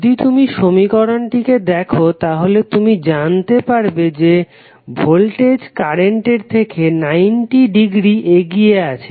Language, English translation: Bengali, If you see this particular equation you will come to know that voltage is leading current by 90 degree